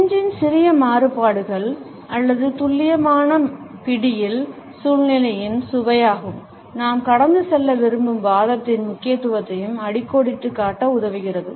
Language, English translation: Tamil, Minor variations of the pinch or the precision grip, help us to underscore the delicacy of the situation as well as the significance of the argument, which we want to pass on